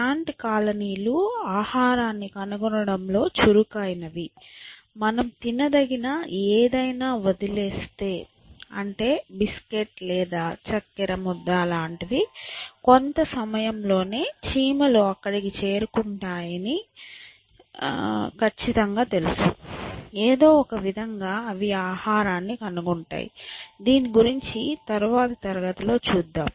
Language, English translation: Telugu, N colonies are known to is very good at finding food, if you leave a anything which edible you know, a biscuit or lump of sugar then, you can be sure that you know, within some time ants would be there, somehow they find it, you look at that in the next class may be I think, we will go to natural selection